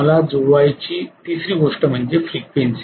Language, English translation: Marathi, The third thing I have to match is the frequency